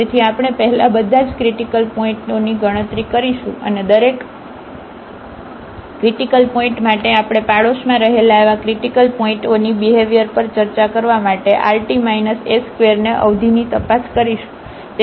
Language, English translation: Gujarati, So, we will compute first all the critical points and for each critical point we will investigate that rt minus s square term to discuss the behavior of those critical points in the neighborhood